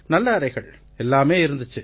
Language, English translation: Tamil, The rooms were good; had everything